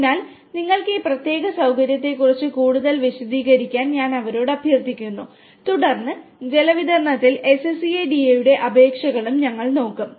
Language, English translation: Malayalam, So, I would request them to explain more about this particular facility that they have and then, we will also look at the applications of SCADA in water distribution